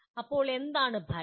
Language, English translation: Malayalam, Now what is an outcome